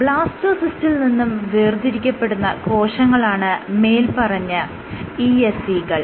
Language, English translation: Malayalam, ESCs are cells which are isolated from the Blastocysts